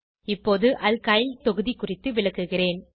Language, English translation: Tamil, Now I will explain about Alkyl groups